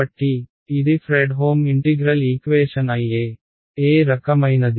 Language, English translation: Telugu, So, it is a Fredholm integral equation IE, of which kind which kind